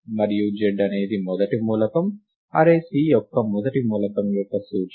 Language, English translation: Telugu, And z is the first element, the index of the first element in the array C right